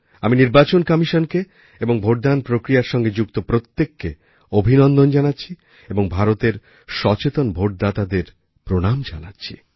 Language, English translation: Bengali, I congratulate the Election Commission and every person connected with the electioneering process and salute the aware voters of India